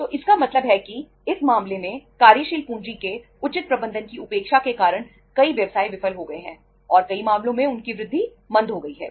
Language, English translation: Hindi, So it means in this case neglecting the proper management of working capital has caused many businesses to fail and in many cases has retarded their growth